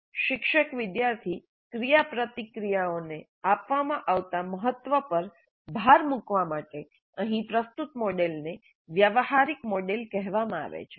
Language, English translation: Gujarati, The model presented here is called transactional model to emphasize the importance given to teacher, student interactions in the model